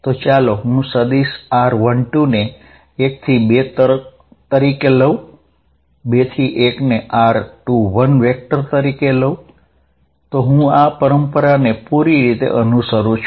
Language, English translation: Gujarati, So, let me write vector from 1 2 as r 1 2, vector from 2 to 1 as r 2 1, I follow this convention all throughout